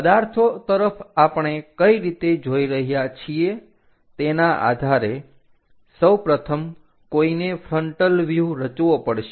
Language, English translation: Gujarati, Based on the object where we are looking at first of all, one has to construct a frontal view